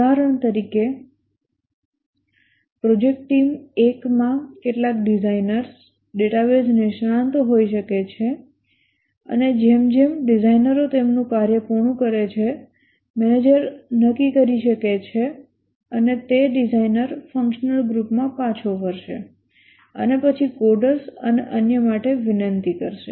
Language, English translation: Gujarati, For example, project team one might have some designers, database experts, and as the designers complete their work, the manager may determine, you will return the designer to the functional group and then request for coders and so on